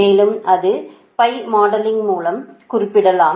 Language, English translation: Tamil, transformer also can be represented by pi modeling